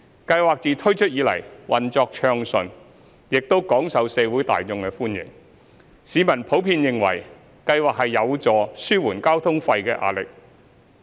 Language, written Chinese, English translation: Cantonese, 計劃自推出以來，運作暢順，亦廣受社會大眾歡迎，市民普遍認為計劃有助紓緩交通費的壓力。, Since its implementation the Scheme has been operating smoothly and is well - received by the public at large . They generally consider that the scheme can help relieve the pressure on transport fares